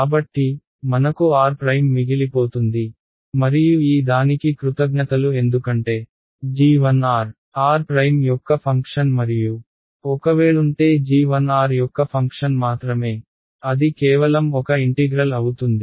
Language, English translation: Telugu, So, I am going to be left with r prime ok, and that is thanks to this guy because g 1 is the function of r and r prime; if g 1 where a function of r only then it will just be a number this integral right